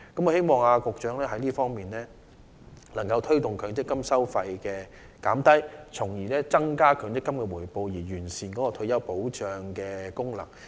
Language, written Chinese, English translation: Cantonese, 我希望局長能夠推動降低強積金收費，從而增加強積金的回報，完善其退休保障功能。, I hope the Secretary can foster the lowering of MPF fees so as to increase MPF returns and refine its retirement protection function